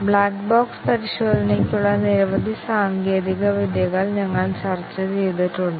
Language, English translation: Malayalam, We have discussed several techniques for black box testing